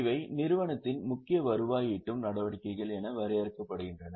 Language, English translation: Tamil, So, these are defined as principal revenue generating activities of the enterprise